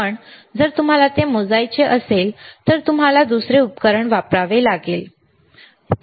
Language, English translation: Marathi, But if you want to measure it, then you have to use another equipment, all right